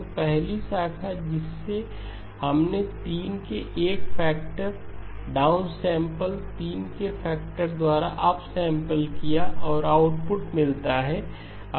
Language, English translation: Hindi, So the first branch that we have has got down sampling by a factor of 3 up sampling by a factor of 3 and the output comes out